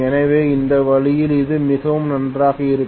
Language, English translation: Tamil, So that way this will be really good